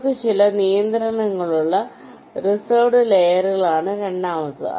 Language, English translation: Malayalam, the second one is the reserved layers, where we have some restrictions